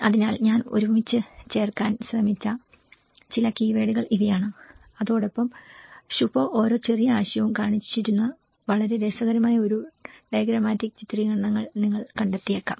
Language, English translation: Malayalam, So, these are some of the keywords I just tried to put it together and you might have find a very interesting diagrammatic illustrations where Shubho have showed each of the small concept